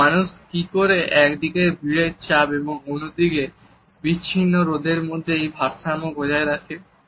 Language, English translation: Bengali, So, how do people kind of maintain this balance between crowding stress on the one hand and feeling isolated on the other